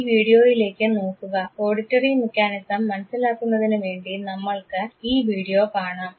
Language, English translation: Malayalam, Look at this very video, to comprehend the auditory mechanism let us look at this video